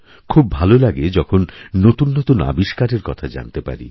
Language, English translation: Bengali, And it is nice to see all sorts of new innovations